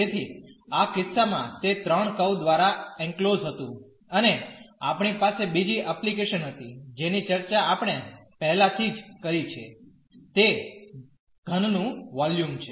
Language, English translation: Gujarati, So, in this case it was enclosed by a 3 curves and we had another application which we have already discussed that is the volume of the solid